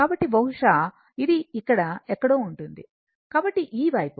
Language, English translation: Telugu, So, maybe it will be somewhere here, so this side